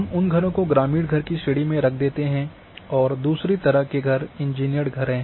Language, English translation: Hindi, We put those houses as rural houses and engineered houses are one houses